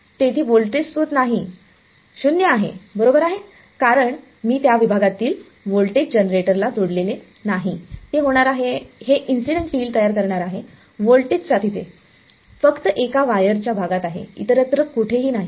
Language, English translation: Marathi, There is no voltage source there is 0 right because, I did not connect the voltage generator across that segment it is going to be, it is going to generate this incident field only across the voltage is only across one part of the wire not everywhere else